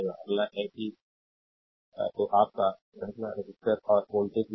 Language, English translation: Hindi, Next is that your series resistors and voltage division